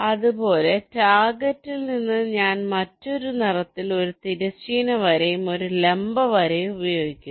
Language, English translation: Malayalam, i am using a different colour, a horizontal line and a vertical line